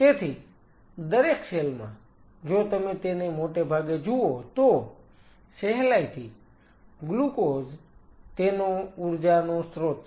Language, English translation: Gujarati, So, every cell, if you look at it mostly they are readily source energy source is glucose